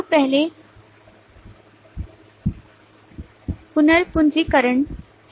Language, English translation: Hindi, So first on to the recapitulation